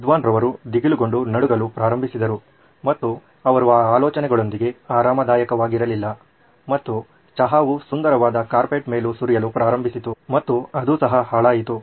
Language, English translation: Kannada, Scholar started getting nervous and jittery and he was not comfortable with that idea and the tea started pouring on the lovely carpet and that got ruined also